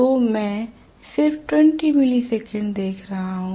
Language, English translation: Hindi, I am looking at just 20 milli second